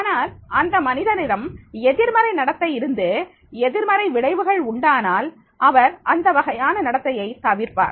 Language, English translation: Tamil, But if the person is having the negative behavior, negative consequences, then in that case that he will avoid that type of behavior is there